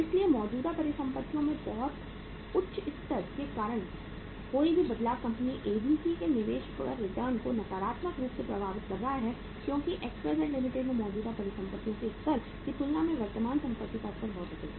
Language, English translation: Hindi, So any change because of very high level of current assets is impacting the return on investment of the company ABC negatively because the level of current assets is very high as compared to the level of current assets in the XYZ Limited